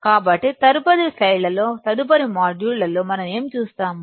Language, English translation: Telugu, So, in the next slides, in the next modules, what we will be looking at